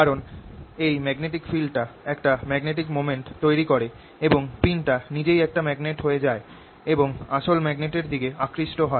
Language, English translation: Bengali, why it gets attracted is because this magnetic field develops a magnetic moment or a magnet in this pin itself and the pin gets attracted towards the original magnet